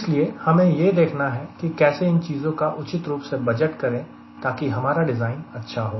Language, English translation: Hindi, so you have to see how do i budget these things appropriately so that my design is an efficient design